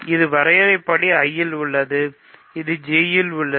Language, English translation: Tamil, So, this is in I by definition, this is in J